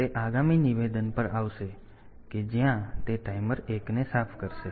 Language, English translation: Gujarati, So, it will come to the next statement where it will clear the timer 1